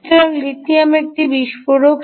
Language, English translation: Bengali, so lithium is an explosive